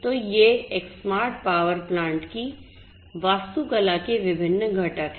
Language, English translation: Hindi, So, these are the different components of in the architecture of a smart power plant